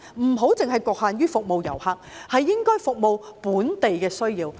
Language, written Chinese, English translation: Cantonese, 不要只局限於服務遊客，而應該服務本地的需要。, It should not be confined to serving only the tourists but should also serve local needs